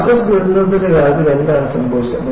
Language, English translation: Malayalam, What happened in the case of molasses disaster